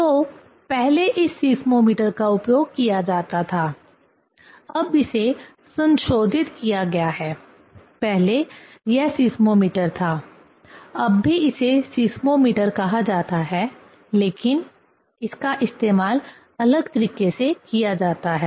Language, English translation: Hindi, So, earlier this seismometer was used and now it is modified; earlier this was seismometer, now also it is called seismometer, but in different way it is used